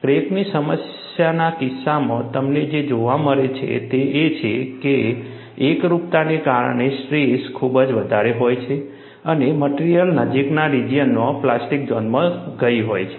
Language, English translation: Gujarati, In the case of a crack problem, what you find is, because of singularity, the stresses are very high and the material has gone to the plastic zone, in the near vicinity